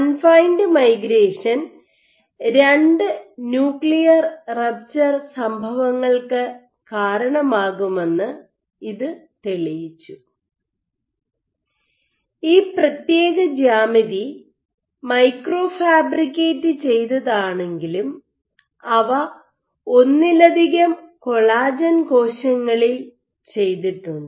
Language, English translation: Malayalam, So, this proved that confine migration can indeed lead two nuclear rapture events, and while this particular geometry was micro fabricated, but they have done in multiple collagen cells